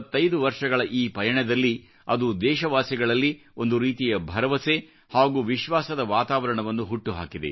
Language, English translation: Kannada, In its journey of 25 years, it has created an atmosphere of hope and confidence in the countrymen